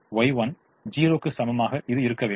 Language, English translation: Tamil, therefore y two has to be zero